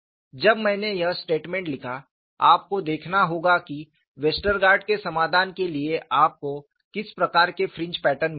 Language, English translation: Hindi, And I make the statement you have to see what kind of fringe patterns you get for Westergaard’s solution